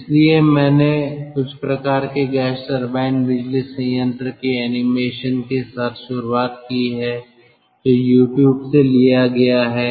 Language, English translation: Hindi, so, ah, i have started with some sort of ah animation for gas turbine power plant which is taken from youtube